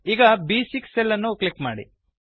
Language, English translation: Kannada, Now click on the cell B6